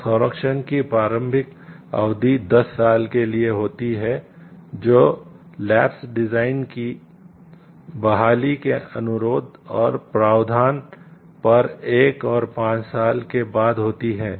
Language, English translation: Hindi, So, the initial term of protection is for 10 years which is followed by another five years in request and provision of restoration of the lapsed design